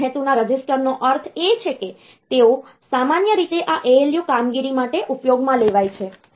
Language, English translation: Gujarati, So, the general purpose register means, they are normally used for this ALU operation